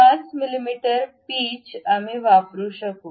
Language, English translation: Marathi, 5 mm pitch we can use